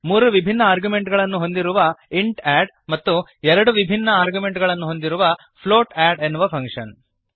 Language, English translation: Kannada, int add with three different arguments and float add with two different arguments